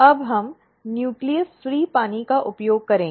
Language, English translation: Hindi, Now, we will use nucleus free water